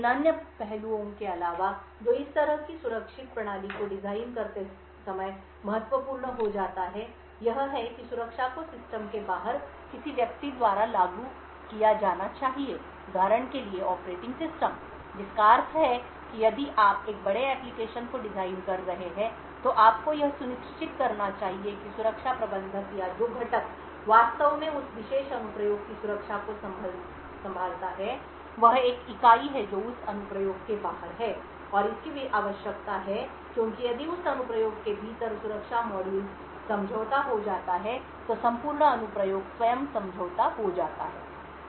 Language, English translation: Hindi, In addition to these other aspects that becomes crucial while designing such a secure system is that security should be enforced by someone outside the system for example the operating system which means to see that if you are designing a large application you should ensure that the security manager or the component which actually handles the security of that particular application is an entity which is outside that application and this is required because if that security module within the application itself gets compromised then the entire application itself is compromised